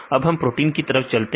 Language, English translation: Hindi, So, then we move to the protein side right